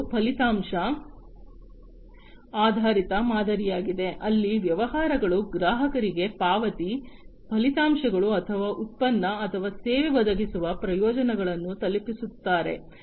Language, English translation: Kannada, The next one is the outcome based model, where the businesses they deliver to the customers the payment, the outcomes or the benefits that the product or the service provides